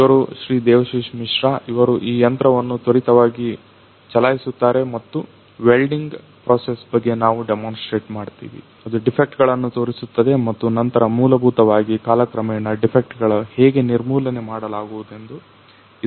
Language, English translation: Kannada, Devashish Mishra, he will quickly run you know this the machine and we demonstrate that the welding process, all the in you know it will it will show the defects and then essentially over the period of the time how the defects get erradicated